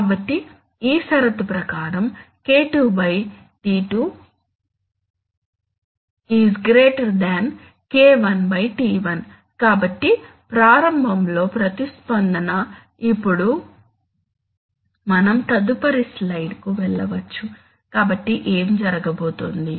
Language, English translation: Telugu, So since, according to this condition K2 / τ2 is greater than K1 / τ1, so therefore initially the response, now we can go to the next slide so what is going to happen is that